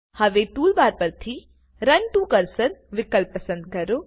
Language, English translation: Gujarati, Now from the toolbar, choose the Run To Cursor option